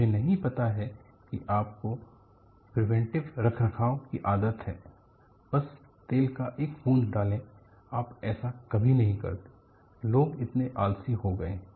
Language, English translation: Hindi, I do not know you have a habit of preventive maintenance; just put the drop of oil; you never do that; people have become so lazy